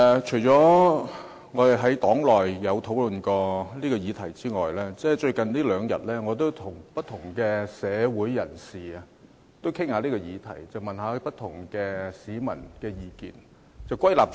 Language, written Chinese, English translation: Cantonese, 除了與黨友討論這項議題外，最近兩天，我也曾與不同社會人士討論這項議題，詢問不同市民的意見。, Apart from discussing the subject matter with Members of my party I have also discussed with different people in society and sought the views of different members of the public in the past two day